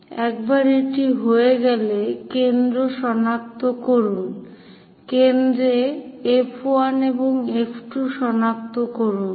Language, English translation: Bengali, Once it is done, locate foci once it is done, locate foci F 1 and F 2